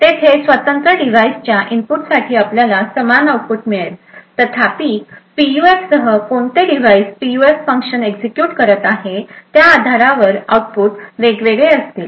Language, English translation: Marathi, Over there for a given input independent of the device you would get the same output however, with a PUF the output will differ based on which device is executing that PUF function